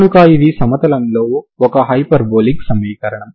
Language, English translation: Telugu, So this is a hyperbolic equation in the plane